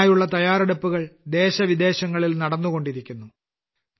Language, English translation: Malayalam, Preparations are going on for that too in the country and abroad